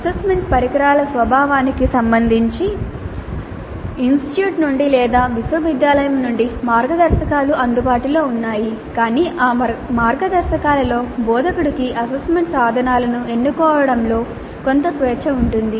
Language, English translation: Telugu, There are guidelines possibly available either from the institute or from the university as to the nature of assessments, assessment instruments allowed, but within those guidelines instructor would be having certain amount of freedom in choosing the assessment instruments